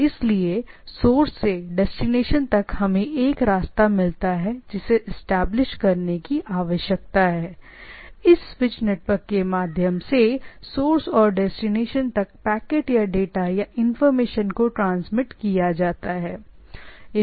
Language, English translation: Hindi, So, from the source to destination we get a path and that is that is that path need to be established or and the your packets or the data or need to be information need to be transmitted from the source station to the destination through this switch network